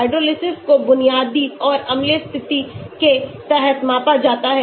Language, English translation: Hindi, Hydrolysis is measured under basic and acidic condition